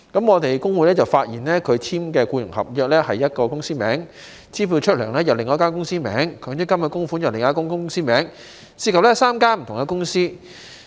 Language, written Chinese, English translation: Cantonese, 我們工會發現跟他簽署僱傭合約的是一間公司的名字，支薪的支票是另外一間公司的名字，強制性公積金供款又是另外一間公司的名字，涉及3間不同的公司。, FTU noticed that his employment contract was signed in the name of one company his pay cheque was issued in the name of another company and his MPF contribution was made in the name of yet another company involving three different companies